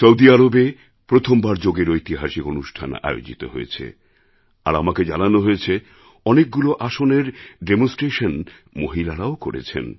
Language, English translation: Bengali, Saudi Arabia witnessed its first, historic yoga programme and I am told many aasans were demonstrated by women